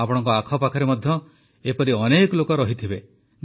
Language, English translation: Odia, There must be many such people around you too